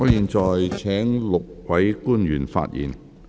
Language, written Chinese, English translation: Cantonese, 我會請5位官員發言。, I will invite the five public officers to speak